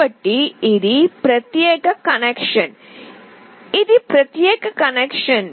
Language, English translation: Telugu, So, this is a separate connection, this is a separate connection